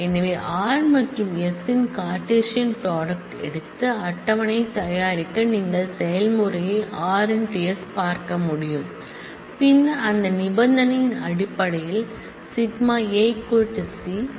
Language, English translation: Tamil, So, taken a Cartesian product of r and s to produce the table as you can see the r process and then added a selection based on a equal to c based on that condition